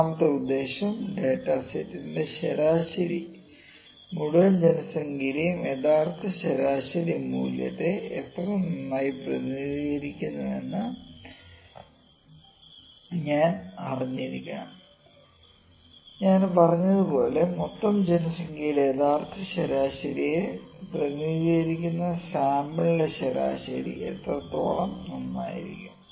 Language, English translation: Malayalam, Then third purpose is we need to know how well the average of the data set represents the true average value of the entire population that is just I said, how well is the average of sample representing the true average of entire population